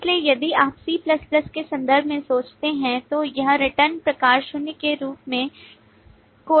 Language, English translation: Hindi, So if you think in terms of c++, then it’s return type would be coded as void